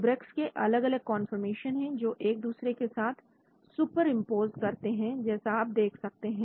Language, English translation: Hindi, This is various conformations of Celebrex superimposed on each other as you can see here